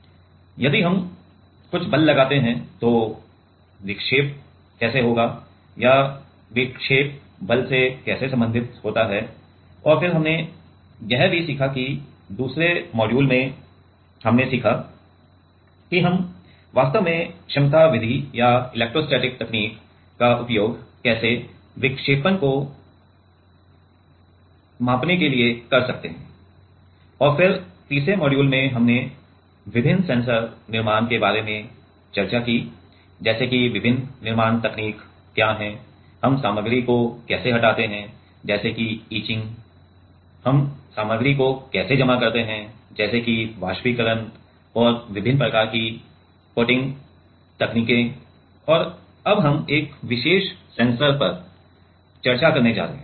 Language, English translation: Hindi, If we apply some force then how the deflection will be or how the deflection will be related to the force and then also we learnt that, how in the second module we learnt that how we can actually measure the deflection using capacity method or electrostatic technique and then in the third module we discussed about different sensors fabrication; like what are the different fabrication technique, how we remove a material like etching, how we deposit a material like evaporation and different kind of coating techniques and now, we are going to discuss on a particular sensor